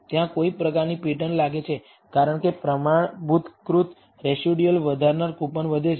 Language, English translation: Gujarati, There seems to be some kind of a pattern, as the coupon that increases the standardized residuals increase